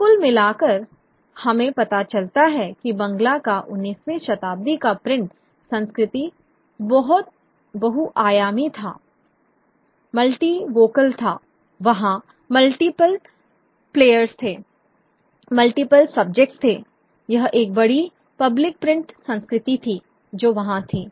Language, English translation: Hindi, So all in all, 19th century print culture in Bangal was multi dimensional, it was multivocal, there were multiple players, there were multiple subjects, it was a large public print culture which was there which has been studied in detail by scholars